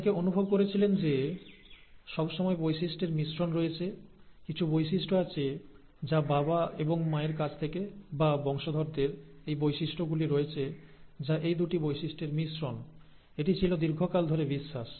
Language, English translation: Bengali, Many felt that there was always a blending of traits; there was some trait from the mother, some trait of the father, the son or the daughter has, or the offspring has the traits that are a blend of these two traits, that was what was believed for a very long time